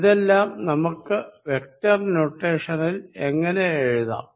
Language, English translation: Malayalam, How can we write all these in vector notation